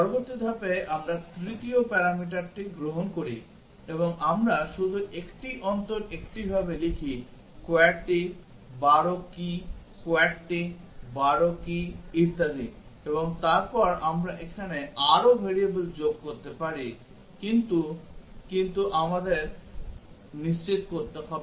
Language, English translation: Bengali, In the next step we take the third parameter and we just write down alternatively QWERTY, 12 key, QWERTY, 12 key, etcetera and then we can add more variables here and, but we have to make sure